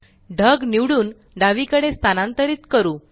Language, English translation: Marathi, Let us select the cloud and move it to the left